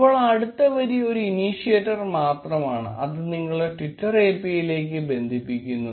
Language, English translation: Malayalam, Now next line is just an initiator, which connects you to the twitter API